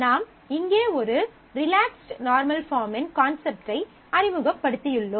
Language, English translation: Tamil, So, I am just introducing the concept of a relaxed normal form here